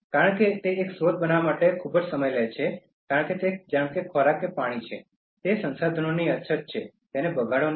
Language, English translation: Gujarati, Because to create one resource it takes so much of time, since the resources are scarce whether it is food or water, do not waste